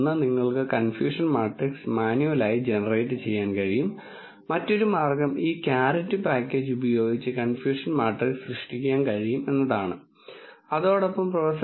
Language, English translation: Malayalam, One you can generate the confusion matrix manually, the other way is to use this caret package which can generate confusion matrix and along with it lot of other parameters what Prof